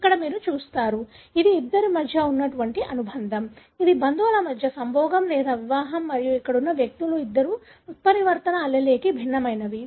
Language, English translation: Telugu, Here you see that, this is the consanguinity between, this is the mating or marriage between relatives and both the individuals here are heterozygous for the mutant allele